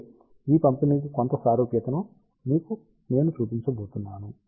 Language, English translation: Telugu, However, I am going to show you somewhat similar to this distribution